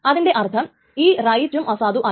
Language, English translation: Malayalam, That means this right is also invalidated